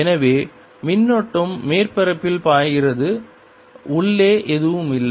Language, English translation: Tamil, so current is flowing on the surface, inside there is nothing